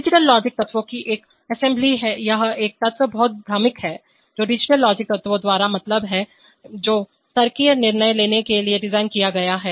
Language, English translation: Hindi, An assembly of digital logic elements this one element is very confusing, what is mean by digital logic elements, designed to make logical decisions